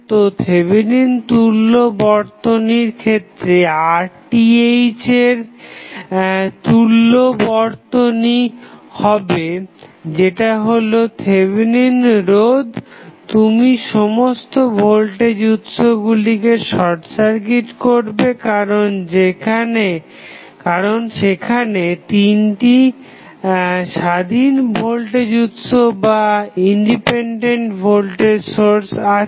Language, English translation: Bengali, So, for Thevenin equivalent the equivalent circuit for Rth that is Thevenin resistance would be you will short circuit all the voltage sources because they are you have 3 independent voltage sources